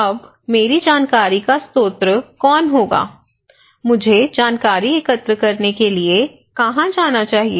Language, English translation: Hindi, Now, who will be my source of information, where should I go for collecting informations